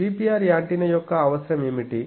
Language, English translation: Telugu, So, what is the requirement of a GPR antenna